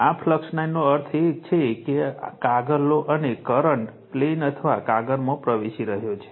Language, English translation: Gujarati, This flux line means you take a paper, and current is entering into the plane or into the paper right